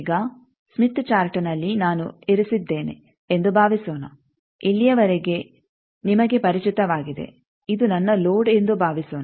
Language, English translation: Kannada, Now, in that smith chart, suppose I have located up to these you are familiar, suppose this is my load